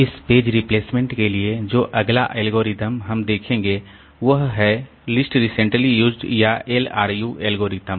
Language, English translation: Hindi, The next algorithm that we will look into for this page replacement is the least recently used or LRU algorithm